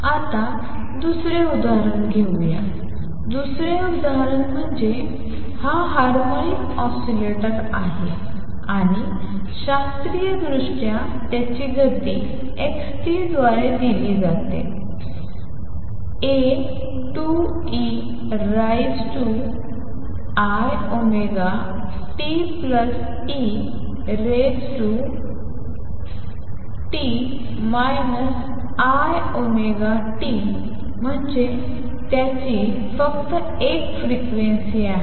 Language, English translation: Marathi, Now, let us take the other example the other example is this harmonic oscillator and classically its motion is given by x t equals a by 2 e raise to i omega t plus e raise to minus i omega t that is it has only one frequency